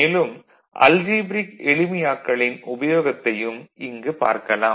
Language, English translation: Tamil, So, there also you can find these algebraic simplification terms, of use